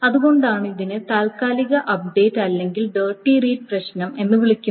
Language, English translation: Malayalam, So that is why it is called a temporary update or the dirty read problem